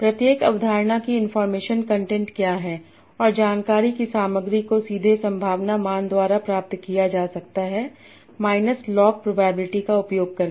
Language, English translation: Hindi, And the information content can be directly obtained by the probability values by using minus log probability